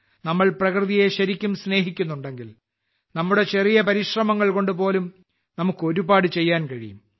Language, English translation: Malayalam, If we really love nature, we can do a lot even with our small efforts